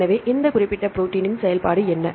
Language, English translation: Tamil, So, what is the function of this particular protein